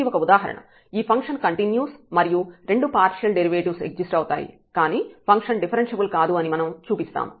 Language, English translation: Telugu, So, this is one example, we will show that this function is continuous and the partial derivatives exist both f x and f y, but the function is not differentiable